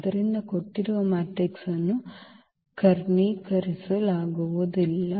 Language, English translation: Kannada, So, the given matrix is not diagonalizable